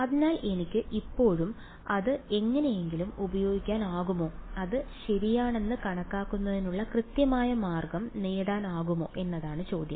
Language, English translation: Malayalam, So, the question is can I still use that somehow and get some accurate way of calculating it ok